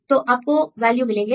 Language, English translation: Hindi, So, you can get the values